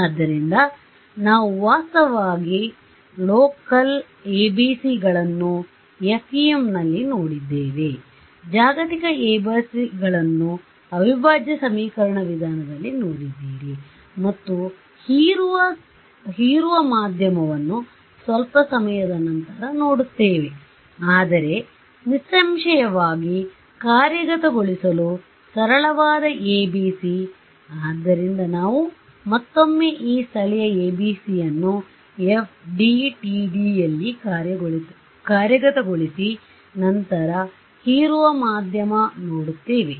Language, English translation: Kannada, So, we have actually seen local ABCs in FEM, you have seen global ABCs in integral equation methods and we will look at absorbing media little bit later, but the simplest ABC to implement is; obviously, local ABC this guy